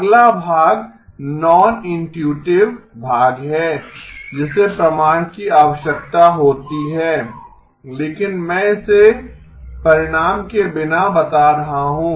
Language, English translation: Hindi, Next part is the non intuitive part requires proof but I am stating it without result